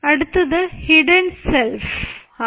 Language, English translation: Malayalam, next comes the hidden self